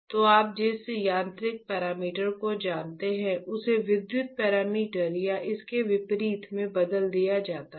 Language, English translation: Hindi, So, the mechanical you know parameter is changed to an electrical parameter or vice versa right